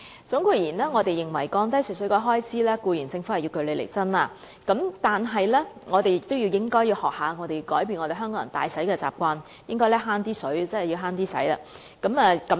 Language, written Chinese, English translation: Cantonese, 總括而言，我們認為要降低食水開支，政府固然要據理力爭，但我們亦應學習改變香港人揮霍用水的習慣，鼓吹節約用水。, As a conclusion we think that in reducing the expenditure on fresh water supply the Government should strive for a reasonable deal . At the same time we should learn to change the spendthrift habit of Hong Kong people in using water and encourage conservation of water